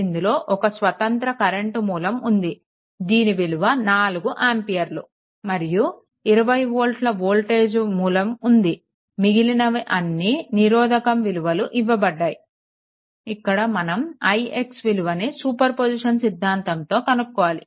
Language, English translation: Telugu, But one independent current source is there 4 ampere and one independent voltage source is there 20 volt, all others are eh resistance values are given, we have to find out here what you call i x using superposition theorem right